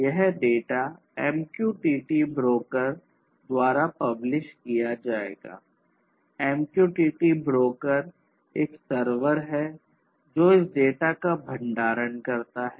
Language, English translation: Hindi, So, MQTT broker which is a server basically stores this data